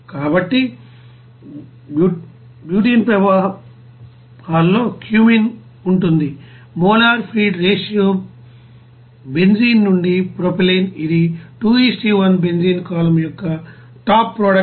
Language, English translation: Telugu, So that cumene will be there in the benzene streams, molar feed ratio benzene to propylene it will be 2 : 1 top product of benzene column will be 98